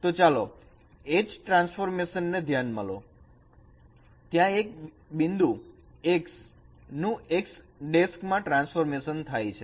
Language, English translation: Gujarati, So let us consider a transformation H where a point x is transformed to x prime